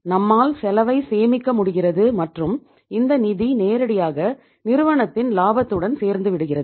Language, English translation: Tamil, We are able to save the cost and that cost directly adds to the profitability of the firm